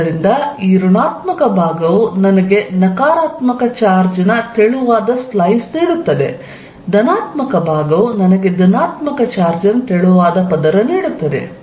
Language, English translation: Kannada, So, that this negative side will give me a very thin slice of negative charge, positive side will give me a very thin slice of positive charge